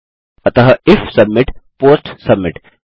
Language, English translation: Hindi, So if submit, POST submit